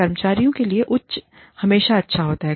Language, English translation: Hindi, Higher is always good, for the employee